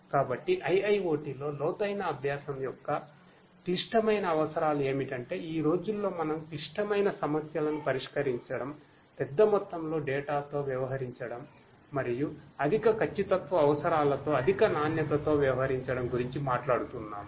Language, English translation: Telugu, So, the critical requirements of deep learning in IIoT are that nowadays we are talking about solving critical issues such as, dealing with large quantity of data and also dealing with higher accuracy requirements higher quality and so on